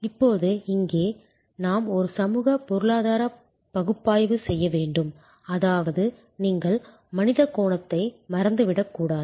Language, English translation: Tamil, Now, here we have to do a socio economic analysis; that means, you should not forget the human angle